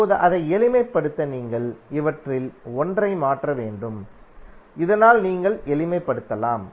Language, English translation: Tamil, Now, to simplify it, you have to just transform onE1 of these so that you can simplify